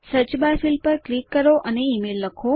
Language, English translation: Gujarati, Click on the search bar and type email